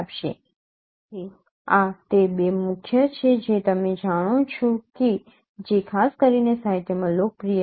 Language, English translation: Gujarati, So these are the two major detectors which are popular in particular in the literature